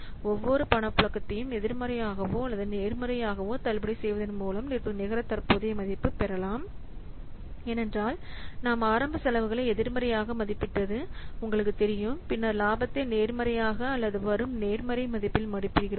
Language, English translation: Tamil, The net present value can be obtained by discounting each cash flow both whether it is negative or positive because you know the initial expenses that we represent as negative value and then the profit we represent in terms of the positive or the income that we represent as positive what values